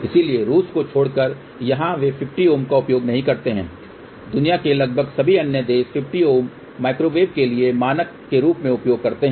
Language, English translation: Hindi, So, accept in Russia where they do not use 50 ohm, almost all the other countries in the world use 50 ohm as standard for microwave